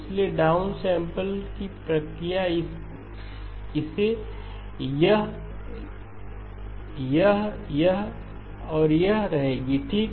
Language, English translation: Hindi, So down sampling process will retain this, this, this, this and this okay